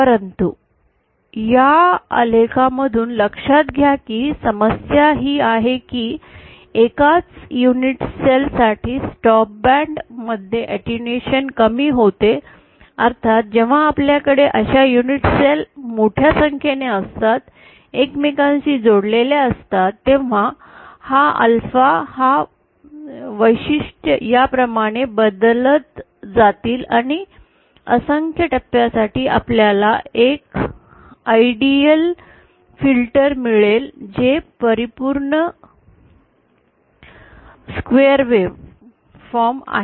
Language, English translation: Marathi, But, note from this graph itself the problem is, for a single unit cell the attenuation is quite low in the stop band, of course when you have large number of such unit cells then it cascades with each other, then this alpha, this characteristics will go on changing like this and see for a infinite number of stages we will get an ideal filter which is perfect square wave form